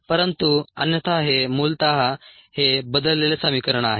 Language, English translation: Marathi, but otherwise this is essentially this equation transports